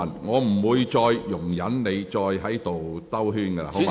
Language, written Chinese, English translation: Cantonese, 我不會再容忍你繞圈子。, I will not tolerate your beating about the bush anymore